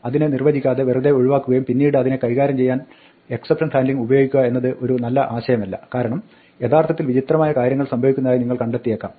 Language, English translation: Malayalam, It is not a good idea to just leave it undefined and then use exception handling to do it, because you might actually find strange things happening